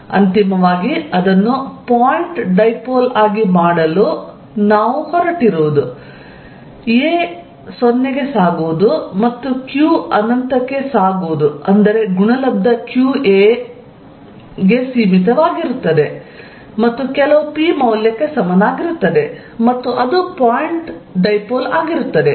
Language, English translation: Kannada, To make it a point dipole finally, what we are going to do is take limit ‘a’ going to 0 and q going to infinity, such that product qa remains finite and equal to some p value that makes it a point dipole